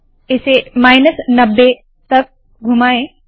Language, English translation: Hindi, Rotate it by minus 90,